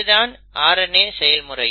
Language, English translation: Tamil, So that is DNA to RNA